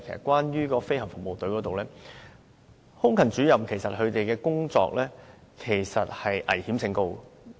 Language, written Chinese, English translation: Cantonese, 關於政府飛行服務隊方面，空勤主任的工作危險性其實很高。, Air Crewman Officers in the Government Flying Service GFS are actually involved in highly dangerous tasks